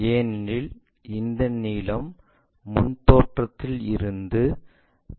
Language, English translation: Tamil, Because this length we will be in a position to get it from the front view